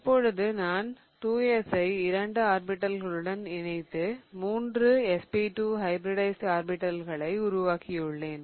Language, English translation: Tamil, Now, I have combined the 2 s with 2 of the p orbitals to form 3 of SP2 hybridized orbitals